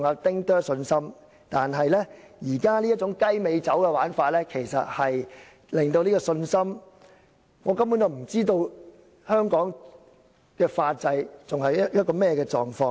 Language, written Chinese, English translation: Cantonese, 但現時這種"雞尾酒"的玩法，其實會令我們的信心動搖，因為我們根本不知道香港的法制正處於何種狀況。, Nevertheless such cocktail mixing will actually shake our confidence because we simply have no idea of the situation of Hong Kongs legal system